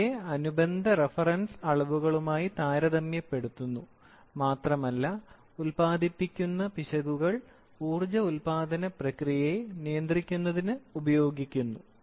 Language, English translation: Malayalam, These are also compared with the corresponding reference quantities and error signals that are generated are used for controlling the entire process of power generation